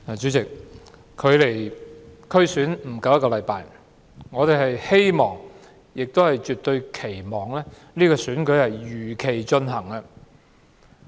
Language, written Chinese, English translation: Cantonese, 主席，距離區議會選舉不足一星期，我們絕對期望選舉能如期進行。, President it is less than one week before we have the District Council Election . We definitely hope that the election can be held as scheduled